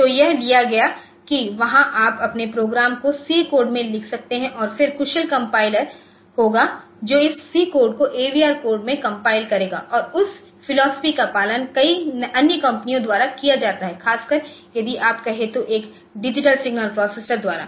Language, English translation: Hindi, So, it was taken that from there it is you can write your program in C code and then there will be efficient compiler which will compile this C code into AVR code and that philosophy is followed by many other companies particularly if you look into say the a digital signal processors